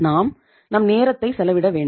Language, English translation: Tamil, We have to take our own time